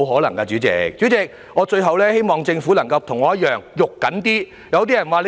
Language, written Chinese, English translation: Cantonese, 代理主席，最後我希望政府能夠像我一樣着緊一點。, As really the last point Deputy President I hope the Government can have a greater sense of urgency like I do